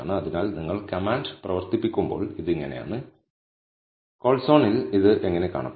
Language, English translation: Malayalam, So, this is how it looks when you run the command and this is how it would look in the callzone